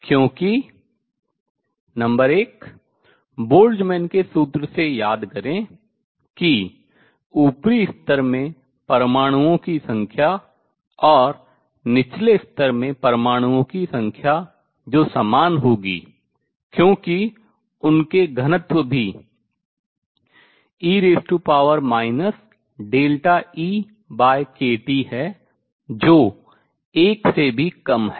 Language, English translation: Hindi, How do we achieve this, because number one remember recall from Boltzmann’s formula that the number of atoms in the upper level and number of atoms in the lower level which will be same as their density also is e raise to minus delta E over k T which is also less than 1